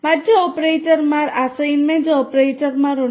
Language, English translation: Malayalam, There are other operators, assignment operators